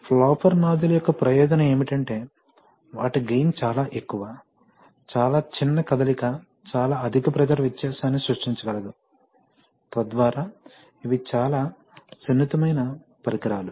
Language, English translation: Telugu, The advantage of flapper nozzle is that their gain is very high, there is very small motion can create a very high pressure difference, so that so they are very sensitive devices